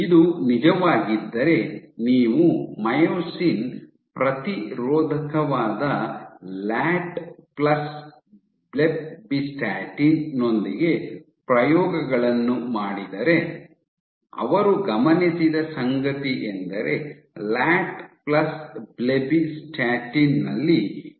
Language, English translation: Kannada, If this was true then if you do experiments with Latt plus blebbistatin, blebbistatin is the myosin inhibitor, what they observed was that in latt plus blebbistatin this was completely eradicated your retrograde flow is completely eradicated